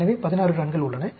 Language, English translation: Tamil, So, there are 16 runs